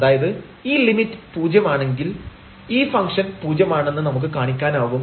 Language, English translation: Malayalam, So, we have this limit is equal to 0 the function value is 0